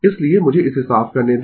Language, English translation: Hindi, So, let me clear this